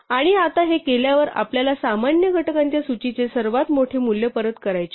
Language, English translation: Marathi, And having done this now we want to return the largest value of the list of common factors